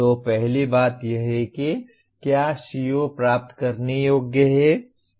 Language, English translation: Hindi, So first thing is, is the CO attainable